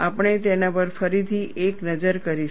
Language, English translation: Gujarati, We will again have a look at that